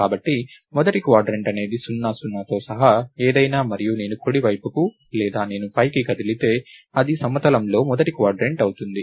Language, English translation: Telugu, So, the first quadrant is anything including 0, 0 and if I move to the right or I move up, that would be the first quadrant in a plane